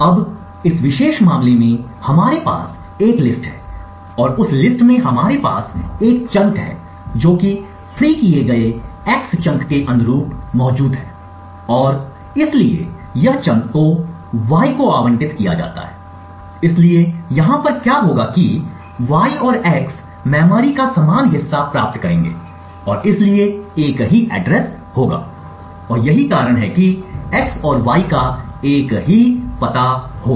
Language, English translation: Hindi, Now in this particular case we have a list and in that list we have one chunk that is present corresponding to the freed x chunk and therefore this chunk gets allocated to y, therefore what would happen over here is that y and x would obtain the same chunk of memory and therefore would have the same address and this is the reason why x and y would have the same address